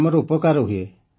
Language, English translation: Odia, We are benefited